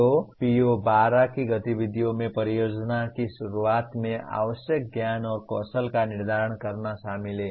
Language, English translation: Hindi, So the activities of PO12 include determine the knowledge and skill needed at the beginning of a project